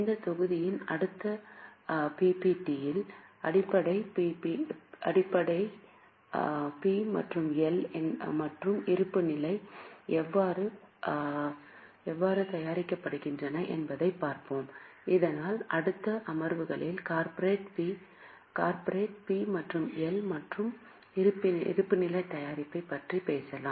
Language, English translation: Tamil, And in the next PPPT of this module, we will see how basic P&L and balance sheet is prepared so that in next sessions we can talk about preparation of corporate P&L and balance sheet